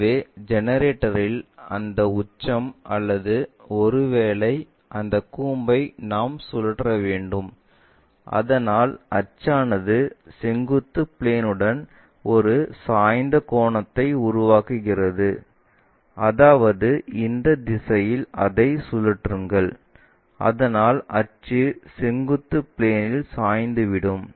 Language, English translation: Tamil, So, we have to rotate that apex or perhaps that cone on the generator, so that axis itself makes an inclination angle with the vertical plane, that means, rotate that in this direction, so that axis is inclined to vertical plane